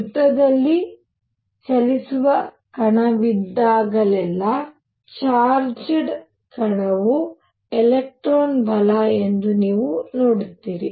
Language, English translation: Kannada, You see whenever there is a particle moving in a circle a charged particle for an example an electron right